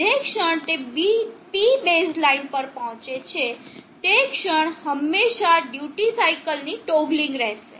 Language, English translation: Gujarati, The moment it reaches the P base line there will always be the toggling of the duty cycle